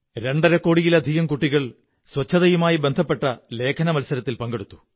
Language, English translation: Malayalam, More than two and a half crore children took part in an Essay Competition on cleanliness